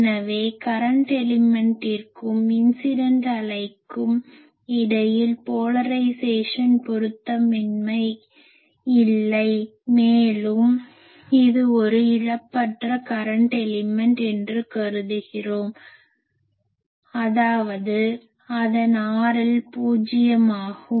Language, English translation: Tamil, So, there is no polarization mismatch between the current element and, the incident wave also we assume it is a lossless current element that means its R L is zero